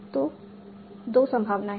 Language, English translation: Hindi, So there are two possibilities